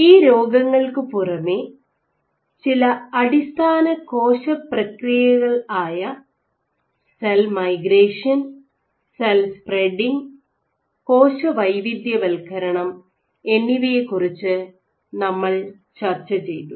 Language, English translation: Malayalam, Apart from these diseases we also discussed some basic cellular processes like cell migration, cell spreading and differentiation